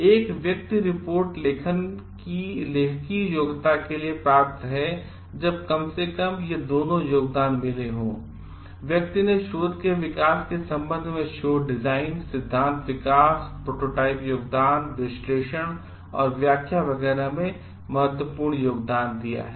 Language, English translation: Hindi, A person is eligible for authorship of a report when at least both of these contributions are met; person has made a significant contribution with respect to research design, theory development, development of prototype, analysis and interpretation etcetera to the research reported